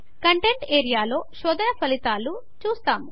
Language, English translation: Telugu, We will see the results of the search in the contents area